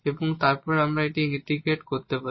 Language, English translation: Bengali, So, now, we can integrate